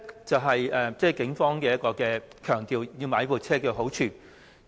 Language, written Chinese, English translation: Cantonese, 這是警方強調購買這些車輛的好處。, These are the merits of the vehicles as emphasized by the Police